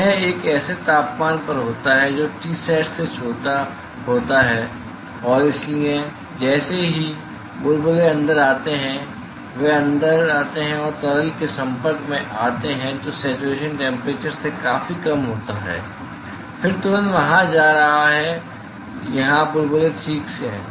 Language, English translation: Hindi, This this is at a temperature which is smaller than T sat that smaller than T sat and therefore, as the bubbles comes inside moment they come in and contact with the liquid which is at a significantly of lower than the saturation temperature then there immediately going to from bubbles here fine